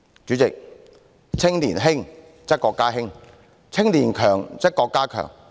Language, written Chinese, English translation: Cantonese, 主席，"青年興則國家興，青年強則國家強。, President A nation will prosper when its young people thrive